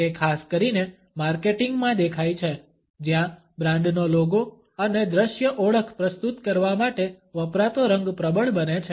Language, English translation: Gujarati, It is particularly visible in marketing where the color, which has been used for presenting a brands logo and visual identity, becomes dominant